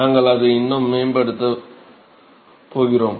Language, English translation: Tamil, So, we are going develop further on that